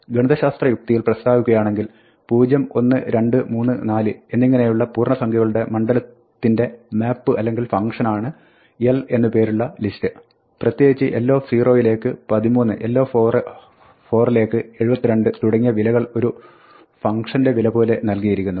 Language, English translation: Malayalam, We can say that this list l is a map or function in a mathematical sense from the domain 0, 1, 2, 3, 4 to the range of integers; and in particular, it assigns l 0 to be 13, l 4 to be 72 and so on where we are looking at this as a function value